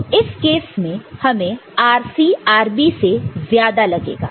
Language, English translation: Hindi, So, in that case we would like to have a RC mode compared to RB